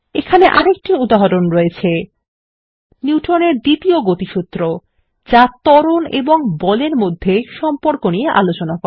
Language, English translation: Bengali, Here is another example: Newtons second law of motion which describes the relationship between acceleration and force F is equal to m a